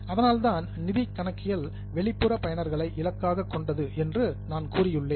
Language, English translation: Tamil, That is why I have said that financial accounting is targeted to external users